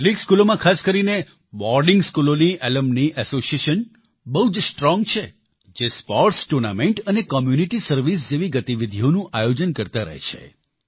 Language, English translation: Gujarati, Alumni associations are robust in many schools, especially in boarding schools, where they organize activities like sports tournaments and community service